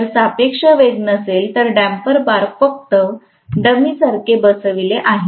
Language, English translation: Marathi, So, if there is no relative velocity the damper bars are just sitting there like a dummy